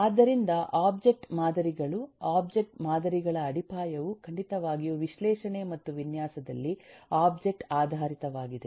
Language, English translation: Kannada, so the object models, the foundation of eh object models eh certainly is in object oriented in analysis and design